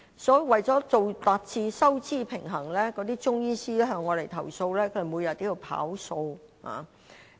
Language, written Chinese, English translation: Cantonese, 所以，為達致收支平衡，那些中醫師向我們投訴，他們每天也要"跑數"。, These Chinese medicine practitioners complain to us that in order to balance the books they have to speed up consultation to meet the quota